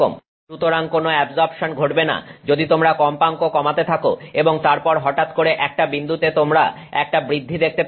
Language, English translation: Bengali, So, no absorption is happening as you keep on lowering the frequency and then suddenly at some point you will start seeing an increase